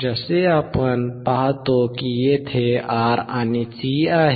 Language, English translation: Marathi, As we see there is R and C